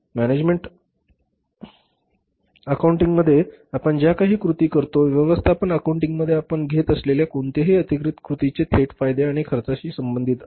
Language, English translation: Marathi, Whatever the actions we take in the management accounting, whatever the actions we take in the management accounting that is directly related to the benefits and cost